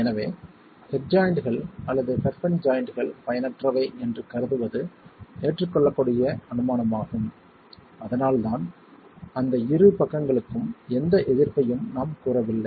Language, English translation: Tamil, And so it is an acceptable assumption to assume that the head joints or the perpen joints are ineffective and that's why we are not attributing any of the resistance to those two sides